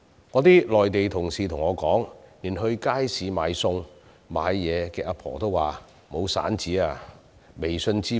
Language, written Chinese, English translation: Cantonese, 我的內地同事告訴我，連在街市售賣餸菜的長者也說沒有零錢，要求以微信支付。, According to my colleagues on the Mainland even elderly persons selling food in wet markets are now asking their customers to settle payment by WeChat Pay because they have no small change